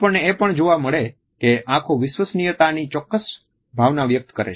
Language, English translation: Gujarati, At the same time we find that eyes communicate is certain sense of trustworthiness